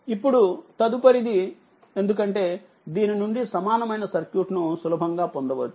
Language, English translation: Telugu, Now, next that, because from this equivalent circuit you can easily get it right